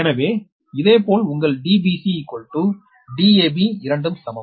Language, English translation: Tamil, so, similarly, your d b c is equal to d a b